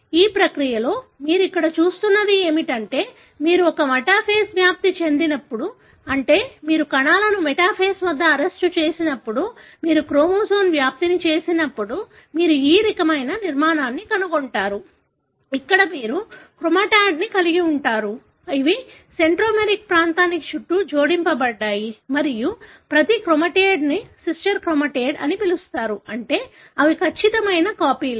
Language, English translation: Telugu, So, in this process what you are seeing here is that when you, when you make a metaphase spread, when you have arrested the cells at metaphase, then you make the spread of the chromosome, you would find this kind of structure, wherein you have the chromatid, which are attached around the centromeric region and each chromatid is called as sister chromatid, meaning they are exact copies